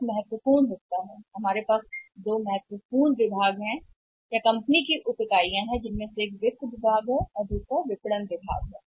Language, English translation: Hindi, This is important part here see we have the two important divisions or subunits in the company's one is the finance department and other is a marketing department right